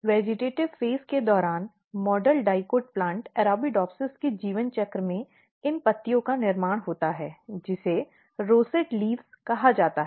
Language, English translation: Hindi, So, this means that in the life cycle of model dicot plant Arabidopsis you can look during the vegetative phase these leaves are basically formed which is called rosette leaves